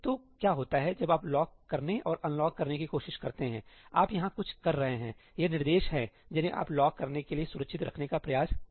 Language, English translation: Hindi, So, what happens when you try to lock and unlock , you are doing something over here; these are the instructions you are trying to protect within the lock